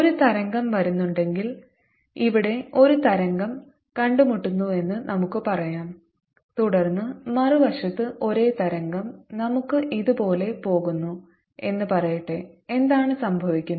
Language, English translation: Malayalam, let's say there's a wave that meets here and then on the other side a same wave, let's say, goes like this: what happens now